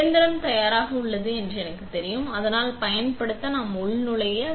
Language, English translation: Tamil, So, once we know the machine is ready and so use, we just login